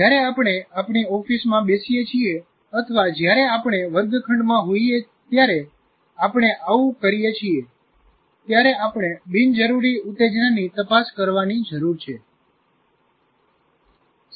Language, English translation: Gujarati, That we do all the time when we sit in our office or when we are in the classroom, we need to, it is required also to screen out unimportant stimuli